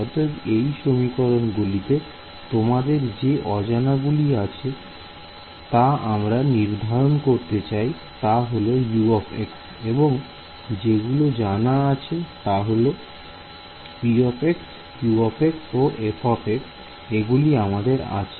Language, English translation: Bengali, So, in this differential equation your unknowns are what you want to find out are given into are is U of x and knowns are p of x q of x and f of x these are given to you ok